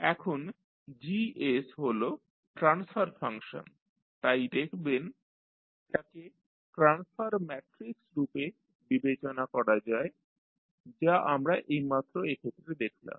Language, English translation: Bengali, Now, Gs is the transfer function so you ca see this can be considered as a transfer matrix which we just saw in this case